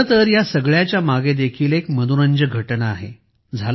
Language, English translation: Marathi, Actually, there is an interesting incident behind this also